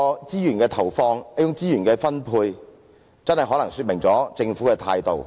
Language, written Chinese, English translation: Cantonese, 如此投放及分配資源，可能真真說明了政府的態度。, Such resource investment and allocation may in fact be an illustration of the Governments attitude